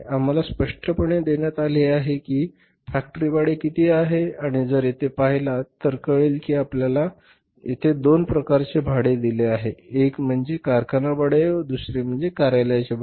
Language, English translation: Marathi, We are given clearly that how much is the factory rent and if you see the factory rent here we are given two kind of rents, one is the factory rent and other is the office rent